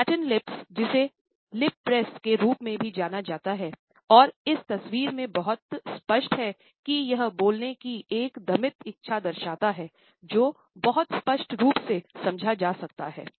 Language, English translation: Hindi, Flattened lips, which are also known as lip press and as this photograph very clearly indicates suggests a repressed desire to speak which is very obviously, understood